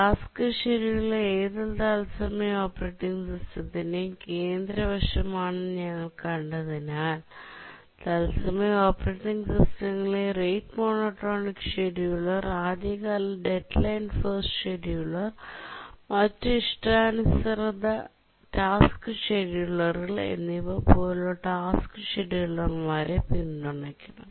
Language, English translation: Malayalam, The task scheduling support, it's seen the task scheduler is a central aspect of any real time operating system, and therefore the real time operating system should support task schedulers like rate monotonic scheduler, earliest deadline first scheduler, and other custom task schedulers